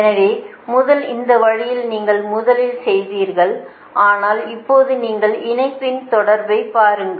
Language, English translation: Tamil, this way, first you make right, but now you see the connectivity of the line